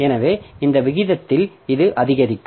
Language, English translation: Tamil, So, this will be increasing at this rate, okay